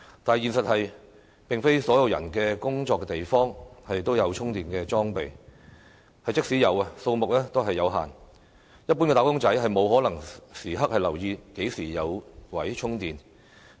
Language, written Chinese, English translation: Cantonese, 但是，現實是並非所有人的工作地方也有充電裝備，即使有，數目亦有限，一般"打工仔"沒可能時刻留意何時有充電位。, However in reality not everyone can access charging facilities at their workplaces . Even if charging facilities are available their number is limited . It is impossible for ordinary wage earners to closely monitor the availability of charging facilities